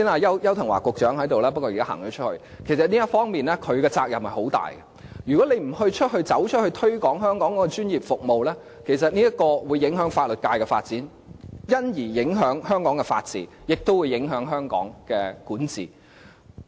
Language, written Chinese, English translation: Cantonese, 邱騰華局長剛才在席，不過現在已離開會議廳，但其實就這方面，他的責任亦很重大，如果他不對外界推廣香港的專業服務，將會影響法律界的發展，因而影響香港的法治，亦會影響香港的管治。, Secretary Edward YAU was sitting here just a moment ago but he has left the Chamber now . In fact he has great responsibility in this area too . If he does not promote Hong Kongs professional services to the outside world the development of our legal sector will be affected and in turn the rule of law in Hong Kong as well as the governance of Hong Kong